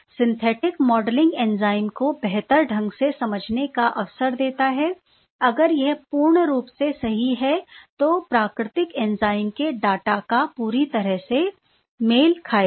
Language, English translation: Hindi, So, synthetic modeling gives an opportunity to better understand the enzyme itself what happens to the synthetic chemistry modeling, if it is perfect; then, it is going to perfectly match those data of the natural enzyme